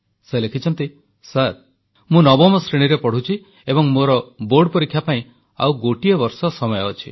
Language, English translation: Odia, And she says, sir, I am studying in Class 9, and there is still a year to go before I sit for my board examinations